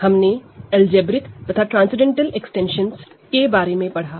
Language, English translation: Hindi, We learned what algebraic and transcendental extensions are